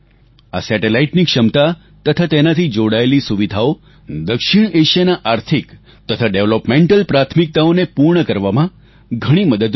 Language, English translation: Gujarati, The capacities of this satellite and the facilities it provides will go a long way in addressing South Asia's economic and developmental priorities